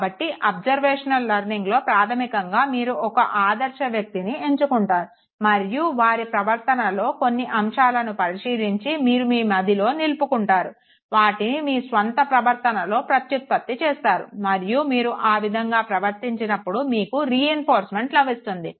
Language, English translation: Telugu, So observational learning which basically helped you attain to a model, retain certain aspects of his or her behavior, reproduce it in your own behavior and when you repeat it in your own behavior you are being reinforced